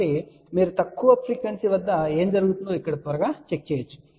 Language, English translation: Telugu, So, you can quickly check here what happens at low frequency